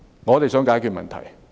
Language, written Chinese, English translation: Cantonese, 我們只想解決問題。, We simply want to work out a solution